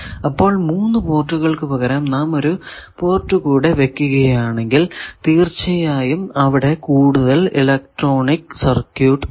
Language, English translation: Malayalam, So, instead of 3 port if we open up another port obviously; that means, we are having more electronics circuitry